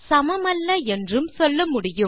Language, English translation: Tamil, We can also say not equal